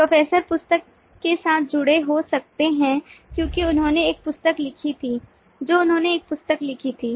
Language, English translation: Hindi, professor could be associated with the book because he authored a book, he wrote a book